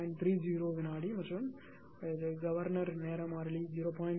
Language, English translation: Tamil, 30 second and governor time constant 0